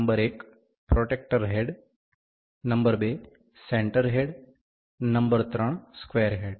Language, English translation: Gujarati, Number 1 protractor head, number 2 center head, number 3 is square head